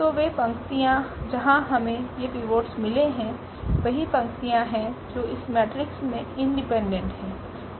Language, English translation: Hindi, So, those rows where we got these pivots there are there are the same number of rows which are independent in this matrix